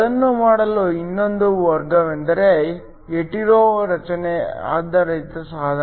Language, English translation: Kannada, Another way to do that is to have a hetero structure based device